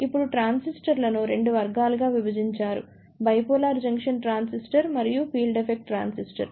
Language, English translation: Telugu, Now, depending upon that the transistors, they are divided into 2 categories; Bipolar Junction Transistor and Field Effect Transistor